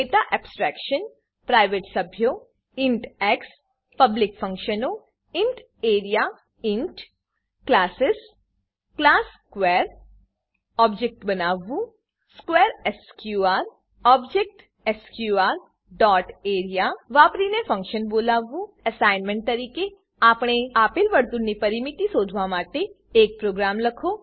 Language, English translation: Gujarati, Let us summarize In this tutorial we have learnt, Encapsulation Data Abstraction Private members int x Public functions int area Classes class square To create object square sqr To call a function using object sqr dot area() As an assignment write a program to find the perimeter of a given circle